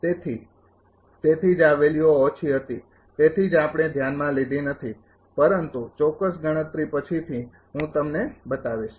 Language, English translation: Gujarati, So, that is why this values are was small r that is why we did not consider, but exact computation later I will show you